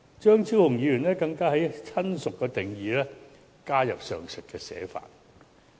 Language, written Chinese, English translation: Cantonese, 張超雄議員更在"親屬"的定義加入上述寫法。, Dr Fernando CHEUNG even added the aforementioned wording to the definition of relative